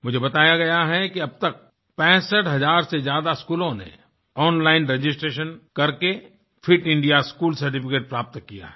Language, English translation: Hindi, I have been told that till date, more than 65,000 schools have obtained the 'Fit India School' certificates through online registration